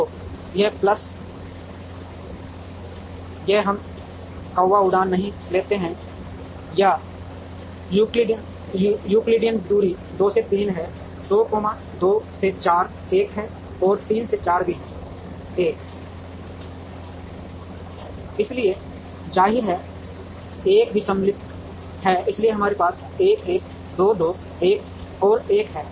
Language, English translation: Hindi, So, this plus this we do not take the crow flying or Euclidean distance 2 to 3 is 2, 2 to 4 is 1 and 3 to 4 is also 1, so; obviously, this 1 is also symmetric, so we have 1 1 2 2 1 and 1